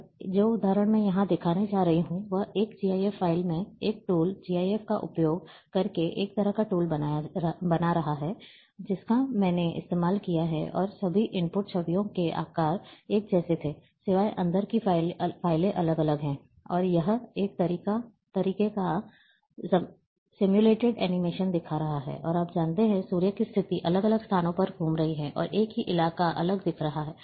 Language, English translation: Hindi, And the example which I am going to show here, it is having 8 frames in, in a 1 GIF file, using a, a tool, GIF create a kind of tool I have used, and all input images had the same sizes, except that files inside are different, and it is showing a sort of simulated animation, and a you know, the position of sun is moving, at different locations, and the same terrain is looking differently